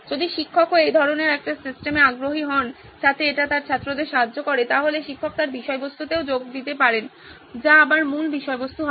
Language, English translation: Bengali, If teacher is also interested in this kind of a system so that it helps her students, then teacher can also pitch in with her content which would be the base content again